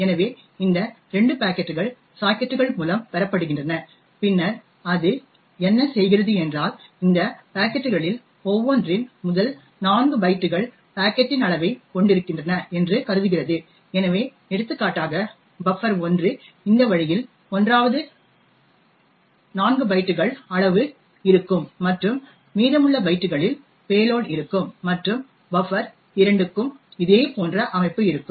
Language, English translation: Tamil, So, these 2 packets are obtained through sockets and then what it does is that it assumes that first 4 bytes of each of these packets contains the size of the packet so for example buffer 1 would look something like this way the 1st 4 bytes would have the size and the remaining bytes would have the payload and similar structure is present for buffer 2 as well